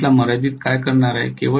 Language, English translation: Marathi, What is going to limit the current